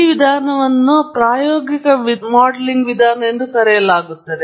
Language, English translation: Kannada, And this approach is called an empirical modelling approach